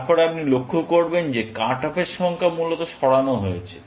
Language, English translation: Bengali, Then, you would notice that the number of cut offs are moved, essentially